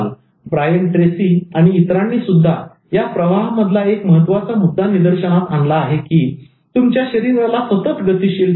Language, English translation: Marathi, Brian Tracy and others also point out one important aspect of this flow, keeping a body in motion